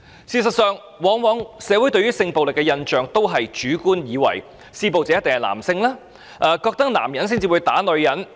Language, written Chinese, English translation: Cantonese, 事實上，社會對性暴力事件的印象往往流於主觀，以為施暴者一定是男性，男人才會打女人。, As a matter of fact people in our society often have a subjective impression on sexual violence cases thinking that the abusers must always be men and that only men will beat up women